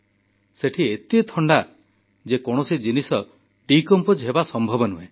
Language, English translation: Odia, It is so cold there that its near impossible for anything to decompose